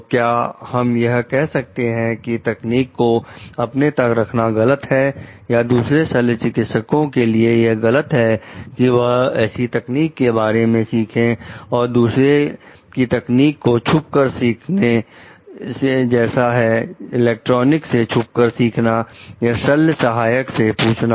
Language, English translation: Hindi, So, should we tell like withholding the technique is wrong, or like would it be wrong for another surgeon to try to like learn about the techniques come like eavesdrop into it electronic eavesdropping or asking an operating room assistant